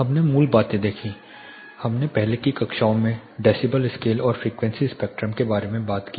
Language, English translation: Hindi, We looked at the basics; we talked about decibel scale and frequency spectrum in the earlier classes